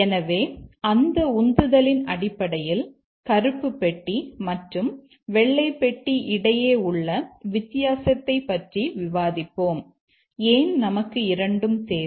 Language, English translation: Tamil, So, let's based on that motivation, let's discuss the difference between black box and white box and why we need both